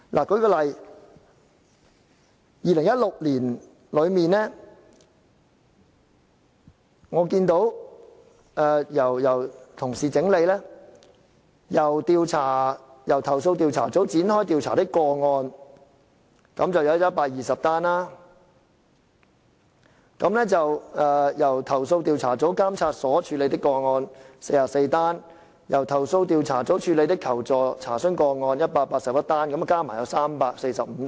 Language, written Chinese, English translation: Cantonese, 舉例而言，根據由同事整理2016年的數字，由投訴調查組展開調查的個案有120宗，由投訴調查組監察所處理的個案有44宗，由投訴調查組處理的求助/查詢個案有181宗，全部合共345宗。, For example according to the figures of 2016 consolidated by colleagues the number of cases entailing the Complaints Investigation Unit CIU to make investigation was 120; cases handled by institutions under CIU monitoring was 44; and cases of requestsenquiries handled by CIU was 181 . Altogether they added up to 345 cases